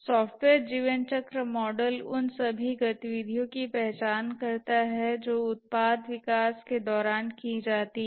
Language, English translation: Hindi, The software lifecycle model essentially identifies all the activities that are undertaken during the product development